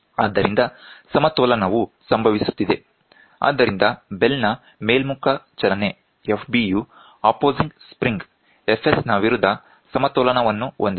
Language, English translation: Kannada, So, there is a balance which is happening so, the upward movement of the bell F b and is balanced against the opposing force of the spring F s